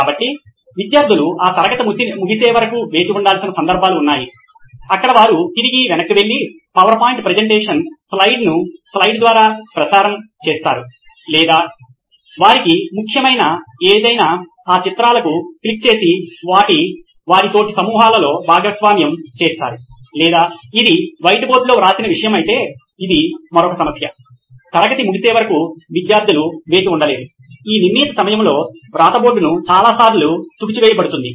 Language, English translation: Telugu, So there are instances where students are supposed to wait till the end of that class, where they again go back, play the entire power point presentation slide by slide or whatever is important to them just click those images and share it within their peer groups, or if it is a content written on the white board it’s another problem there would be that students cannot wait till the end of the class the board would be wiped out N number of times in this due course of time